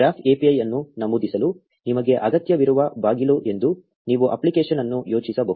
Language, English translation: Kannada, You can think of an app as a door that you need in order to enter the graph API